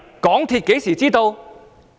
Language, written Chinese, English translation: Cantonese, 港鐵公司何時知道？, When did MTRCL learn of it?